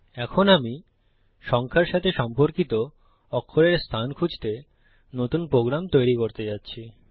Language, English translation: Bengali, Now Im going to create a new program to find out the position of a letter in relation to its number